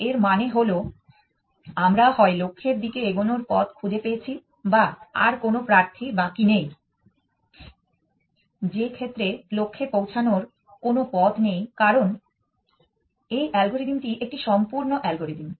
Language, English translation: Bengali, This means that either we have found paths to the goal or they are no more candidates left in which case there is no path to the goal because the algorithm is a complete algorithm